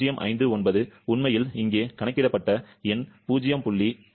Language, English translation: Tamil, 059 actually, I have the number calculated here that is 0